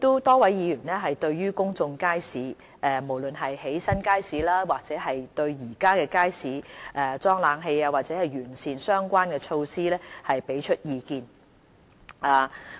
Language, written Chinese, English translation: Cantonese, 多位議員就公眾街市，無論是建新街市、在現有街市加裝冷氣，還是完善相關措施給予意見。, Many Members gave their views on public markets be it the construction of new markets installing air conditioning in existing ones or improving the relevant measures